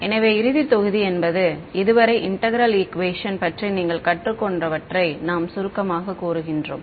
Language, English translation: Tamil, So the final module is where we summarize what you have learnt about integral equations so far